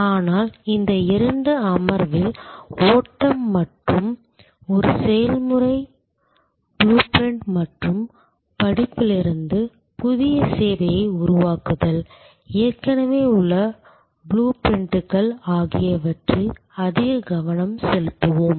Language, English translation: Tamil, But, in this couple of session we will more focus on the flow and a process blue print and creation of new service from studying, existing blue prints